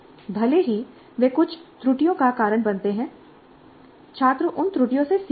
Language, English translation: Hindi, And even if they lead to some errors, the students learn from those errors